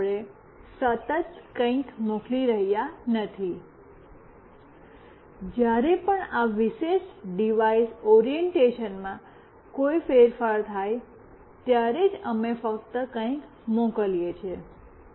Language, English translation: Gujarati, So, continuously we are not sending something, we are only sending something whenever there is a change in this particular device orientation